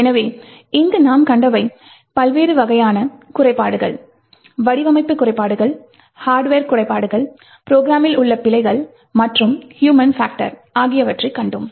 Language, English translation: Tamil, So, what we have seen over here are different types of flaws, we have seen design flaws, hardware flaws, bugs in the program and the human factor